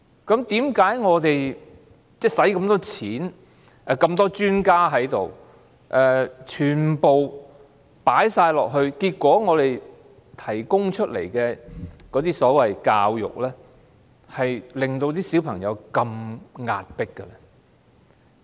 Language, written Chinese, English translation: Cantonese, 為甚麼我們耗用大量公帑及聘請眾多專家投入教育，結果我們提供的教育卻令小朋友感到壓迫？, Despite our allocation of considerable public funds and engagement of numerous experts to the education sector the education we have provided has ended up putting pressure on children . What is the reason for that?